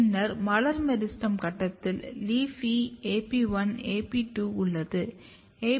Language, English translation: Tamil, And then during floral meristem stage you have LEAFY AP1, AP2